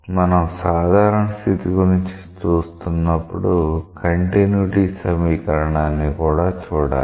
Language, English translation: Telugu, So, when you are looking about the general case, you have to see the continuity equation